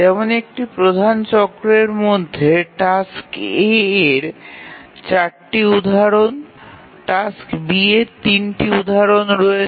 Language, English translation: Bengali, So we can see that there are 4 instances of task A, 3 instances of task B within one major cycle